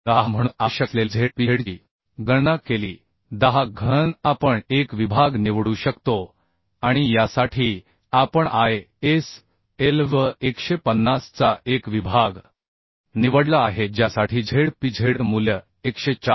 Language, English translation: Marathi, 10 cube we can select a section and for this we have selected a section of ISLB 150 for which the Zpz value is 104